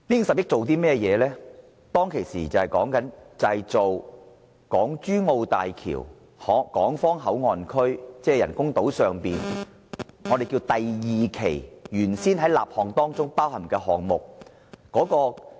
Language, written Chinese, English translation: Cantonese, 政府當時聲稱額外撥款會用以支付港珠澳大橋港方口岸區，即人工島第二期原先在立項包含的項目。, The Government said at the time that the additional funding would be used for projects included in the original project initiation of the second phase of the artificial island of the Hong Kong Boundary Crossing Facilities of HZMB